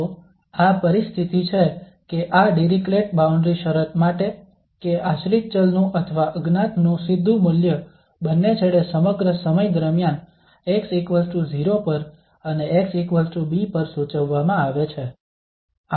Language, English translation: Gujarati, So this is the situation we have for this Dirichlet boundary conditions that the direct value of the dependent variable of the unknown is prescribed at both the ends at x equal to 0 also at x is equal to b throughout the time